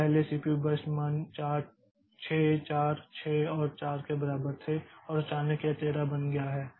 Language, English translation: Hindi, So, previously the CPU burst values were equal to 6, 4, 6 and 4 and all on a sudden it has become 13